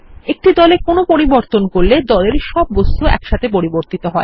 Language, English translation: Bengali, Any change made to a group is applied to all the objects within the group